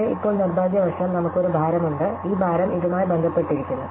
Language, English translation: Malayalam, But, now unfortunately, what we have is that we have a weight, so we have this weight associated with this